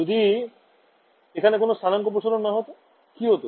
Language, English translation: Bengali, So, when there was no coordinate stretching, what happened